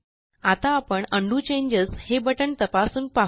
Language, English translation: Marathi, Okay, now let us test the Undo changes button